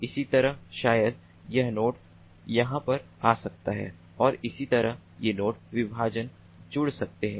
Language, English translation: Hindi, likewise, maybe this node can come over here and likewise these two partitions can be joined